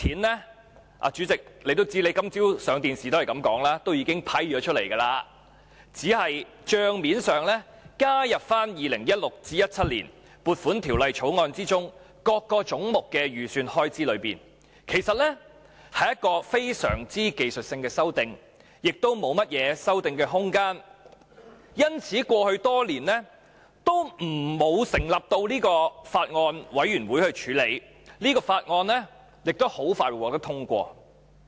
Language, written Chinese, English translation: Cantonese, 代理主席，正如你今早接受電視台訪問時也說，這是已批出的款項，只是帳面上加入 2016-2017 年度的撥款條例草案中各總目的預算開支內，屬非常技術性的修訂，亦沒有甚麼修訂空間，所以過去多年也沒有成立法案委員會處理，而這項法案也很快會獲得通過。, Deputy President as you also said in a television interview this morning these provisions have already been made and we are here only to add them to the books of accounts for the estimated expenditures under the respective heads in the appropriation bill for 2016 - 2017 and so these are purely technical amendments and there is little room for changes to be made to them . This is also why no Bills Committees were set up to examine this bill over the years and the bill would be passed expeditiously